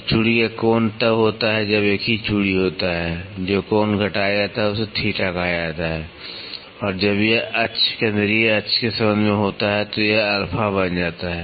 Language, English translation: Hindi, So, angle of thread is when there is a single thread, the angle which is subtended is called as theta and when it is with respect to axis central axis this becomes alpha